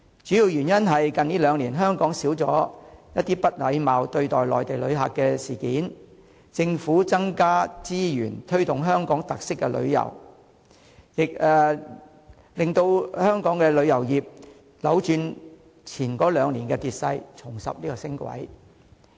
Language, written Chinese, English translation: Cantonese, 主要原因是近兩年香港少了不禮貌對待內地旅客的事件，政府增加資源推動香港特色旅遊，使香港的旅遊業扭轉前兩年的跌勢，重拾升軌。, The main reasons are the fewer incidents of Mainland visitors being treated impolitely in Hong Kong in the past two years and also additional resources provided by the Government for promoting tourism with local characteristics thus enabling the local tourism industry to reverse the declining trend in the past two years and ride on the upswing again